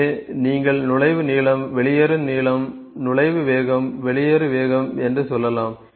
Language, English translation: Tamil, So, you can say entry length, exit length, entry speed, exit speed